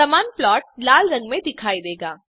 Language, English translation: Hindi, The same plot is seen in red color